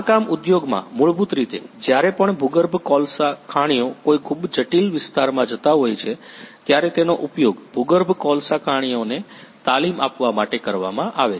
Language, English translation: Gujarati, In mining industry basically it is used to train the underground coal miners, whenever they are going to a very complex area